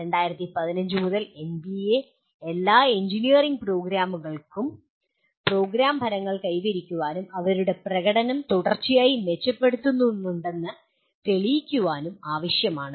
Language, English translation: Malayalam, And NBA since 2015 requires all engineering programs attain the program outcomes and demonstrate they are continuously improving their performance